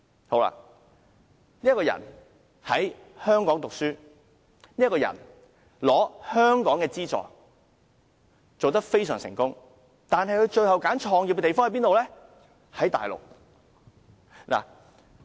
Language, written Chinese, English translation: Cantonese, 他在香港讀書，並獲得香港的資助，生意做得非常成功，但他最終卻選擇在大陸創業。, He received education and subsidies in Hong Kong and his business is a huge success . But in the end he opted to start up his business on the Mainland . Of course people can say This is not correct